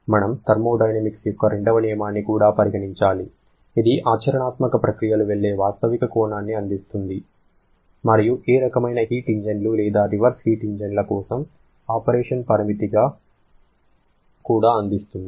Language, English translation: Telugu, We have to consider the second law of thermodynamics also which provides a realistic dimension in which practical processes can go and also provides a limit of operation for any kind of heat engines or reversed heat engines